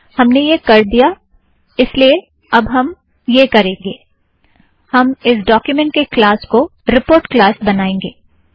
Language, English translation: Hindi, So we have done this, now what we will do is, let us change the class of this document to report